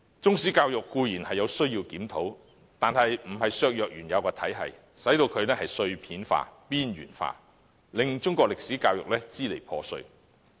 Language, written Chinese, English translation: Cantonese, 當局固然需要檢討中史教育，但不應削弱原有體系，令中史教育變得支離破碎。, The authorities should certainly conduct a review on Chinese history education but it should not weaken the original system and make Chinese history education fragmentary